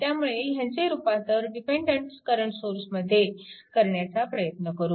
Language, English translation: Marathi, So, dependent voltage source will be converted to dependent current source right